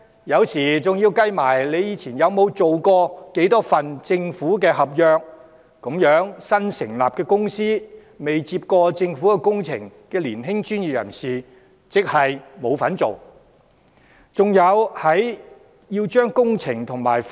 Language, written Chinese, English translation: Cantonese, 有時在評審時，還要計算投標者過去曾承接多少份政府合約，這樣新成立的公司，未承接過政府工程的年輕專業人士根本沒機會參與投標。, In some cases the number of government contracts previously awarded to tenderers has to be considered in evaluating the tenders . Hence start - up companies and young professionals who have never undertaken any government projects will basically have no opportunity to participate in tendering